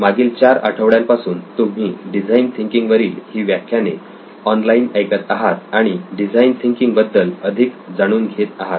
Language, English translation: Marathi, It’s been over 4 weeks that you have been listening to these lectures online and finding out more about design thinking